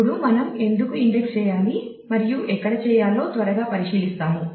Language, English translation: Telugu, Now, we will quickly take a look into why how should we index and where